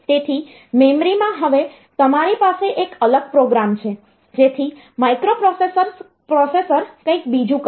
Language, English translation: Gujarati, So, in the memory now you have a different program so that the microprocessor will do something else